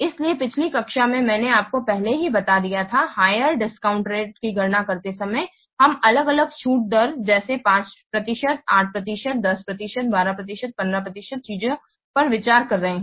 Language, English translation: Hindi, So, in the last class I have already told you while calculating the net present value, we are considering different discount rates such as 5%, 8%, 10%, 12%, or 15%, things like that